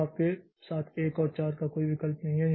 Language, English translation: Hindi, So, 1 and 4 we don't have any choice